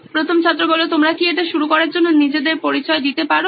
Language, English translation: Bengali, Can you guys introduce yourself to start of with